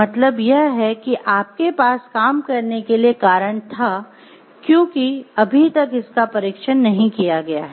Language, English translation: Hindi, So, you have a reason to believe will work, but you are not yet tested it